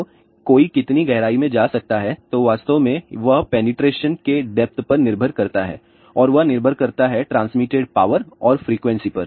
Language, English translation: Hindi, So, how much is the depth one can go through that actually depends upon the depth of penetration depends on the transmitted power and frequency